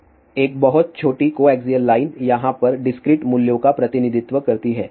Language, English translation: Hindi, So, here what we have a very small coaxial line represented by the discrete values over here